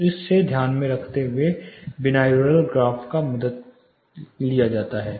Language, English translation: Hindi, So, keeping in this, keeping this in consideration the binaural graph really helps